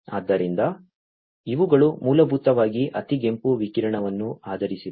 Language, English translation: Kannada, So, these are basically based on infrared radiation